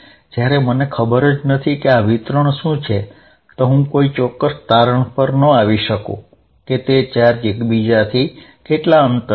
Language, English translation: Gujarati, And I do not know what this distribution is, if I do not know what this distribution is how do I figure out, how far are the charges